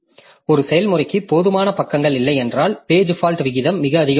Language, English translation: Tamil, So if a process does not have enough pages, the page fault rate becomes very high